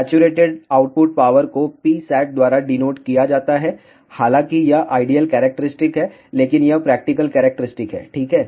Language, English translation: Hindi, The saturated output power is denoted by P sat; however, this is the ideal characteristic, but this is the practical characteristics ok